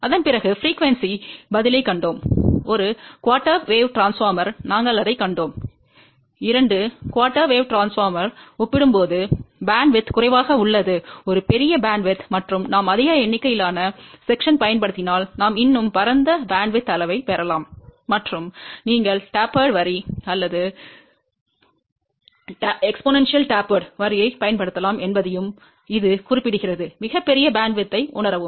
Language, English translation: Tamil, After that we saw the frequency response and we had seen that for a single quarter wave transformer, bandwidth is relatively less compared to two quarter wave transformer which has a larger bandwidth and if we use larger number of sections, we can get a much broader bandwidth and it also mention that you can use tapered line or exponentially tapered line to realize much larger bandwidth